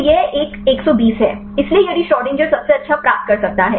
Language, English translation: Hindi, So, this is a 120; so if the Schrodinger could get the best one